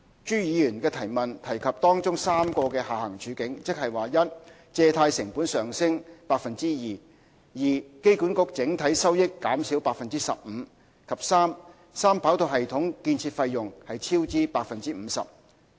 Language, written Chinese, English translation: Cantonese, 朱議員的質詢提及當中3個的下行處境，即1借貸成本上升 2%；2 機管局整體收益減少 15%； 及3三跑道系統建造費用超支 50%。, Mr CHU Hoi - dick has mentioned three of these downside scenarios in his question namely 1 a 2 % increase in the cost of borrowing; 2 a 15 % decline in AAs total revenue; and 3 a 50 % overspend on 3RS capital cost